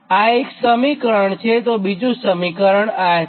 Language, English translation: Gujarati, this is one equation equation